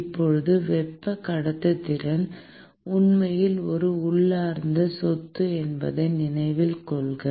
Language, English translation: Tamil, Now, note that thermal conductivity is actually an intrinsic property